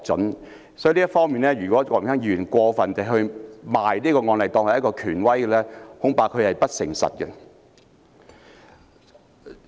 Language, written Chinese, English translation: Cantonese, 因此，就這方面，如果郭榮鏗議員過分地以這個案例作為權威，恐怕他是不誠實的。, Hence in this respect Mr Dennis KWOK is I am afraid being dishonest by overplaying the authority of the case